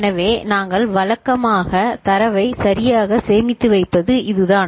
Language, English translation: Tamil, So, that is the way we usually store the data right